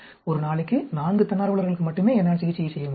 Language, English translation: Tamil, I can do the treatment only for 4 volunteers per day